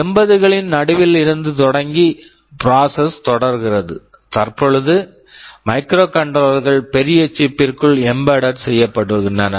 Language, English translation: Tamil, Starting from mid 80’s and the process is continuing, what we see now is that microcontrollers are getting embedded inside larger chips